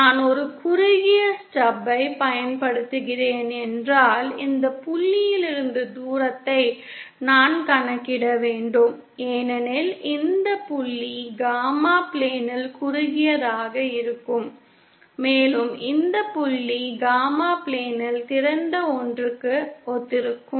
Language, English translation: Tamil, If I am using a shorted stub then I would have to calculate the distance from this point because this point corresponds to short on the gamma plane and this point corresponds to open on the gamma plane